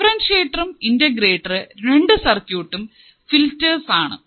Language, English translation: Malayalam, Differentiator and integrator both the circuits are as filters